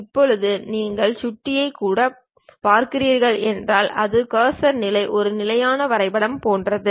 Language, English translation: Tamil, Now, if you are seeing even the mouse it itself the cursor level it shows something like a parallelogram